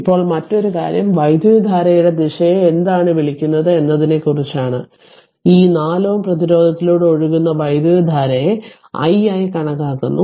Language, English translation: Malayalam, Now another another thing is this look at the your what you call the direction of the current, the current flowing through this 4 ohm resistance it is given it is taken as i right